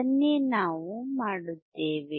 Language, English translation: Kannada, That is what we do